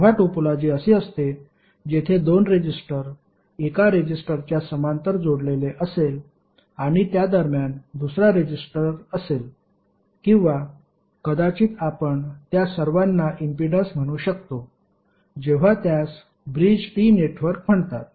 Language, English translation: Marathi, When the topology is like this where two resistances are connected parallelly with one resistor and in between you have another resistor or may be you can say all of them are impedances then it is called Bridged T network